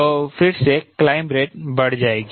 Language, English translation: Hindi, so again, rate of climb will increase